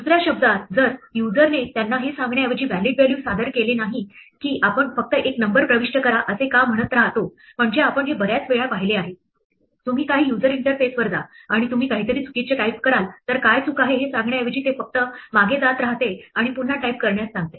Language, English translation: Marathi, In other words if the user does not present a valid value instead of telling them why we just keep saying enter a number I mean we have seen this any number of times right, you go to some user interface and you type something wrong it does not tell you what is wrong it just keeps going back and back and back and asking to type again